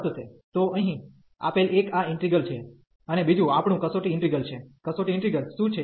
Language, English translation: Gujarati, So, one this given integral here, and the another one our test integral, what is the test integral